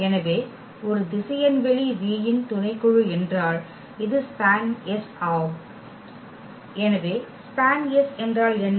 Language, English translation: Tamil, So, if as is a subset of a vector space V then this is span S yes so, what is span S